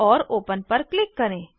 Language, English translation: Hindi, and click on Open